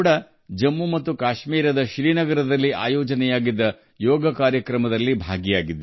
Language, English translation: Kannada, I also participated in the yoga program organized in Srinagar, Jammu and Kashmir